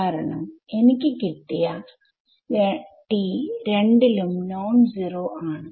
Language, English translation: Malayalam, Because this T which I have over here is non zero over both right